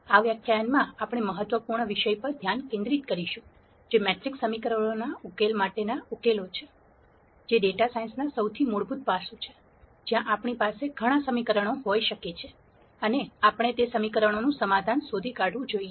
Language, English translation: Gujarati, In this lecture we will focus on the next important topic of extracting solutions for matrix equations, which is the most fundamental aspect of data science, where we might have several equations and we might have to nd solutions to those equations